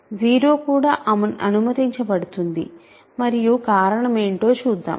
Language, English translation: Telugu, So, 0 is also allowed and the reason is solution